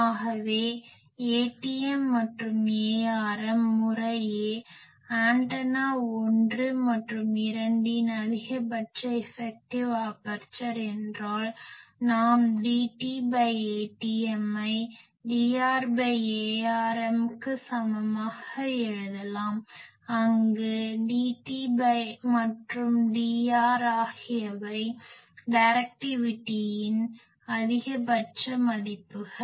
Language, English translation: Tamil, So, if A tm and A rm are maximum effective aperture of antenna 1 and 2 respectively, then we can write D t by A tm is equal to D r by A rm, where D t and D r are the maximum values of the directivities